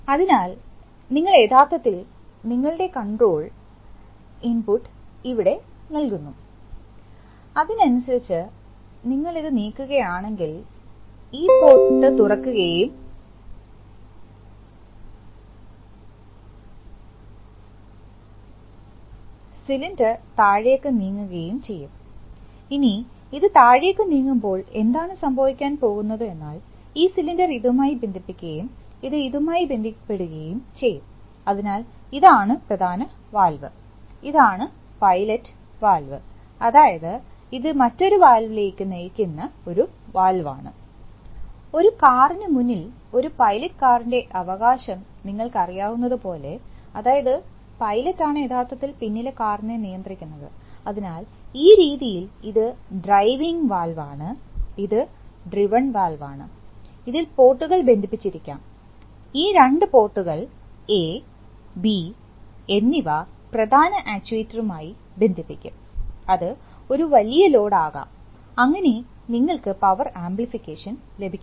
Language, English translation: Malayalam, So, you give actually your control input here, so accordingly if you move it, if you push it this way then this port will open and this port will open, so the cylinder will move down, when it moves down, when it moves down then what is going to happen is that, this will get connected to this and this will get connected to this, so this is the main valve, this is the pilot valve, that is, it is a valve which drives another valve, just like you know a pilot rights in front of a car, that is a pilot car, the pilot is actually the leader which would drive, so in this way this is the driving valve and this is the driven valve and this in turn, this ports maybe connected, these two ports A and B may be, will be connected to the main actuator, which may be a very heavy load, right, so this way you get power amplification